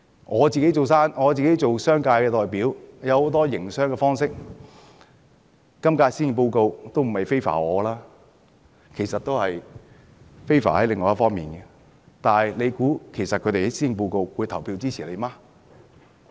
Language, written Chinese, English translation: Cantonese, 我身為商界代表，有很多的營商方式，今屆施政報告的內容都不是 favour 我，而是 favour 另一方面，但是，你猜他們會投票支持施政報告嗎？, As a representative of the business sector I find that the current Policy Address does not favour our many business practices . It is the opposite side which finds its favour . Still do you think they will vote in favour of the Policy Address?